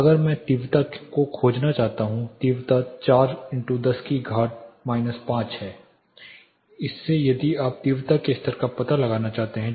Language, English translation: Hindi, If I want to find the intensity; intensity is 4 in to 10 power minus 5 from that if you further want to find out the intensity level